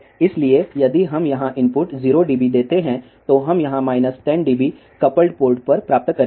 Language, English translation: Hindi, So, if we give input 0 dB here, then we will get minus 10 dB here at the coupled port